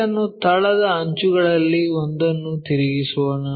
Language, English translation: Kannada, Let us rotate this one of the base edges